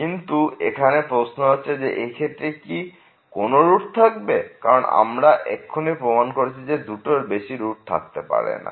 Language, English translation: Bengali, But, now the question is whether there is a root in this case, because we have just proved that there cannot be more than two roots